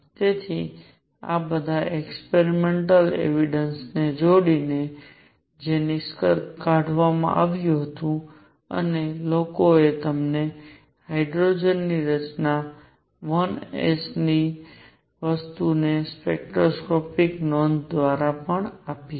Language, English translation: Gujarati, So, combining all these experimental, combining all these experimental evidences what was concluded and people also gave you know spectroscopic notation to things that hydrogen had a structure of 1 s